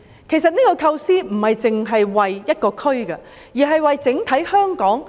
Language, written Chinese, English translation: Cantonese, 其實，這個構思並非只為一個區，而是為了香港整體。, In fact this concept will not merely benefit individual districts but Hong Kong as a whole